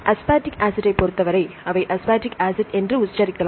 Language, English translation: Tamil, And for aspartic acid, they pronounce as aspartic acid